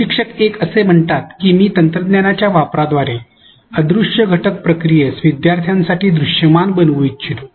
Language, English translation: Marathi, Instructor 1 says that I would like to make invisible elements processes visible for learners through the use of technology